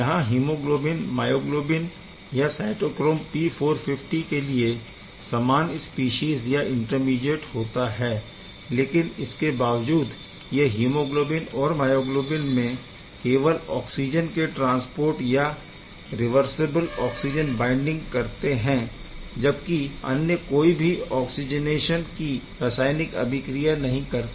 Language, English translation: Hindi, So, this is the same species the common intermediate for both hemoglobin, myoglobin and cytochrome P450, despite having the common intermediate this case it is just transport oxygen or reversibly binds oxygen it does not do any oxygenation chemistry